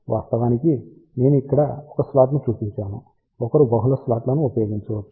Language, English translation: Telugu, In fact, I have just shown 1 slot over here, one can use multiple slots